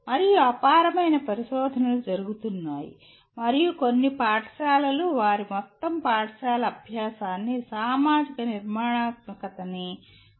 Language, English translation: Telugu, And there is enormous amount of research that is done and some schools follow strictly their entire school learning through social constructivism